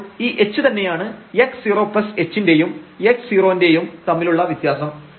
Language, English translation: Malayalam, So, this h was nothing, but the difference here x 0 plus h and x 0